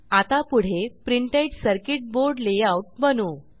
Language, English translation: Marathi, The next step is to create the printed circuit board layout